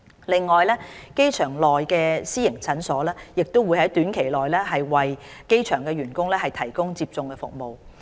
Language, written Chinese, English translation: Cantonese, 另外，機場內的私營診所亦會在短期內為機場員工提供接種服務。, Besides the private clinic at the airport will also provide vaccination to staff working at the airport shortly